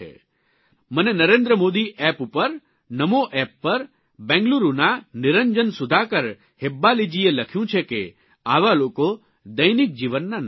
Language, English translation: Gujarati, On the Narendra Modi app, the Namo app, Niranjan Sudhaakar Hebbaale of BengaLuuru has written, that such people are daily life heroes